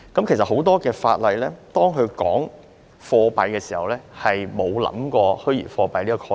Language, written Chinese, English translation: Cantonese, 其實，很多法例提到貨幣時，並沒有考慮到虛擬貨幣這個概念。, Actually many ordinances do not take into account the concept of virtual currency when they mention currency